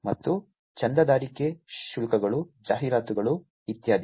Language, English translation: Kannada, And subscription fees, advertisements, etcetera